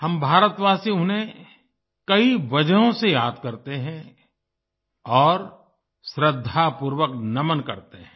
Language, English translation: Hindi, We Indians remember him, for many reasons and pay our respects